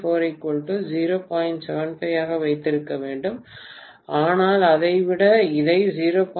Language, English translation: Tamil, 75 but rather than that, let me take this to be 0